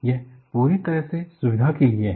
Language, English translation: Hindi, It is purely out of convenience